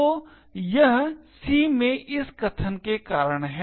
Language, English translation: Hindi, So, this is due to this statement in C